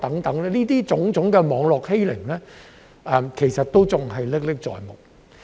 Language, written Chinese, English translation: Cantonese, 這種種網絡欺凌其實仍然歷歷在目。, All those cyberbullying activities are still vivid in our memories